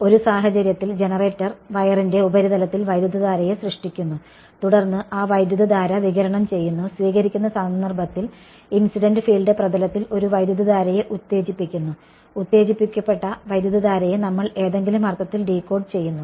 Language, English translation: Malayalam, In one case the generator induces the current on the surface of the wire and then that current radiates and in the receiving case incident field comes excites a current on the surface and that current which has been excited is what we decode in some sense